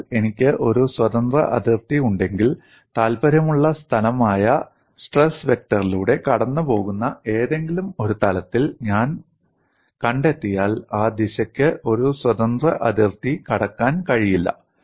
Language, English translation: Malayalam, So, if I have a free boundary, if I find in any one of the planes passing through the point of interest, the stress vector, that direction cannot cross a free boundary